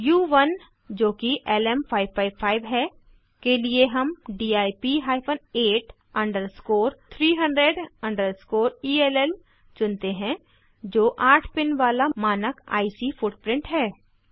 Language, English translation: Hindi, LM555 we choose DIP hyphen 8 underscore 300 underscore ELL which is a standard eight pin IC footprint